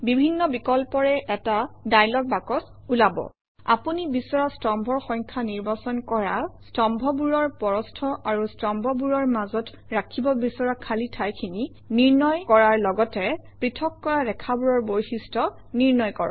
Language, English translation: Assamese, A dialog box appears with various options selecting the number of columns you want, setting the width and spacing of these columns as well as setting the various properties of the separator lines